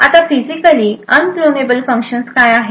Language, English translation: Marathi, Now what are Physically Unclonable Functions